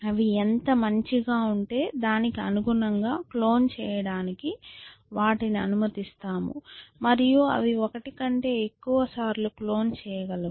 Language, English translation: Telugu, We allow them to clone in proportion to how good they are essentially and they can get to clone more than once